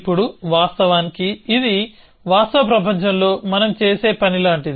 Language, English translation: Telugu, Now of course, this is like what we do in the real world